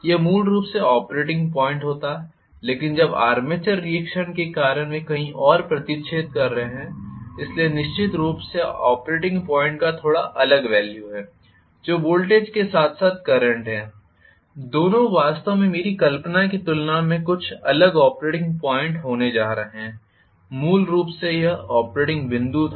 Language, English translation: Hindi, This would have been the operating point originally, but now because of the armature reaction they are intersecting somewhere else, so I am definitely going to have a little different value of the operating point that is the voltage as well as the current, both are going to be somewhat different as compared to what actually I visualised originally as the operating point